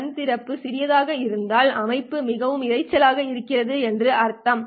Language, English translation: Tamil, If the eye opening is small, then it means that the system is very, very noisy